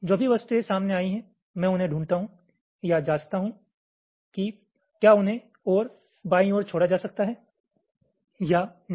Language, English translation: Hindi, whatever objects are encountered, i find or check whether they can be shifted left any further or not